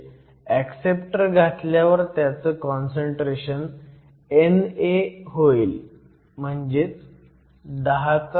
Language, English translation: Marathi, So, we add acceptors and the concentration of acceptors, N A is 10 to the 16